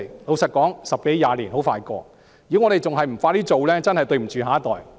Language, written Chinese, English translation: Cantonese, 老實說，十多二十年很快過去，如果我們還不加快進行，真的對不起下一代。, Frankly speaking a decade or two will pass in a flash . Should we not speed up with reclamation we will indeed be doing a disservice to our next generation